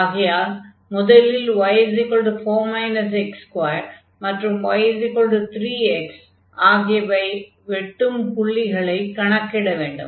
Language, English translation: Tamil, So, we need to compute this point of intersection of this x y is equal to 2